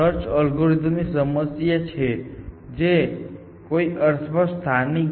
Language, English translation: Gujarati, So, this is the one problem with search algorithms, which are local in some sense essentially